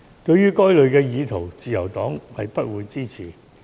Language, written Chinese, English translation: Cantonese, 對於該類意圖，自由黨不會支持。, The Liberal Party did not support the attempt